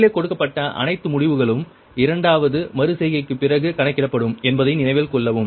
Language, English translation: Tamil, note that all the, all the results given above are computed after second iteration only